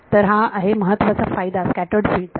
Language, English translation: Marathi, So, this is the main advantage of scattered field